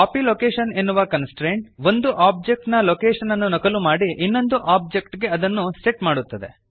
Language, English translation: Kannada, Copy location constraint is used to copy one objects location and set it to the other object